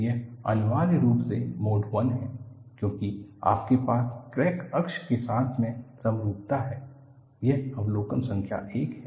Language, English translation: Hindi, It is essentially mode 1, because you have symmetry about the crack axis; this is observation number one